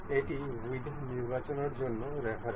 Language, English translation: Bengali, This is the reference for the width selections